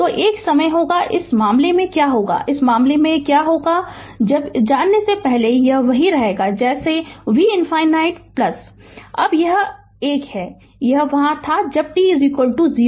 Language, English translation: Hindi, So, there will be a time, in this case what will happen, in this case what will happen, before going to this thing in this case this will remain as say v infinity plus now this one, this was your there when t is equal to 0